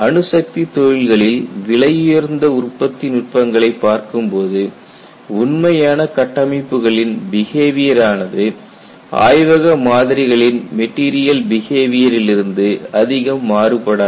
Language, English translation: Tamil, In view of costly production techniques in nuclear industries, the behavior of the actual structures may not deviate much from material behavior of laboratory specimens